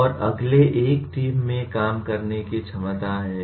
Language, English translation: Hindi, And next one is ability to work in a team